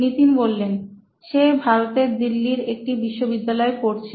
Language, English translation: Bengali, He is studying at a university in Delhi, India